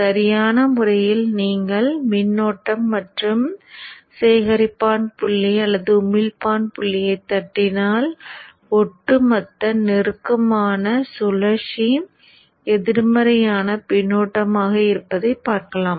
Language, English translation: Tamil, Appropriately you can tap the voltage at the collector point or the emitter point to see that the overall the close loop is negative feedback